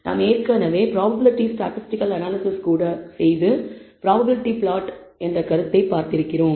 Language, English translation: Tamil, We have already seen the prob even we did statistical analysis the notion of a probability plot